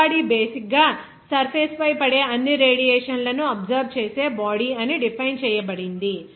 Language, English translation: Telugu, The black body is basically defined as a body that absorbs all radiation that falls on the surface